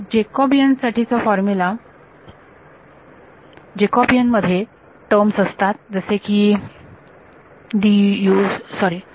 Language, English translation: Marathi, So, formula for Jacobian so, the Jacobian has terms like d u sorry